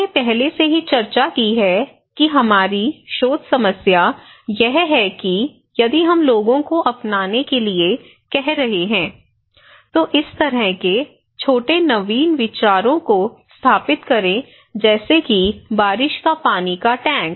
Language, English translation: Hindi, Now, we discussed already also that our research problem is that if when we are asking people to adopt, install this kind of small innovative idea like rainwater tank